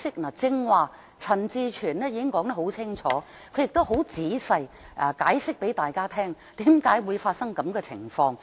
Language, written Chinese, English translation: Cantonese, 陳志全議員剛才已經說得很清楚，亦很仔細地向大家解釋為何會發生這樣的情況。, Just now Mr CHAN Chi - chuen already spelt out the case clearly and explained to us in detail why such a situation had arisen